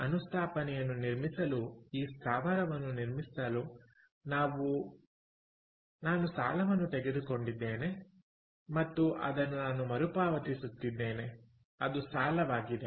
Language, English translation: Kannada, let us say, for building this plant, for building this installation, i have taken a loan which i am repaying